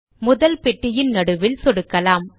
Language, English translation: Tamil, Let us click at the centre of the first box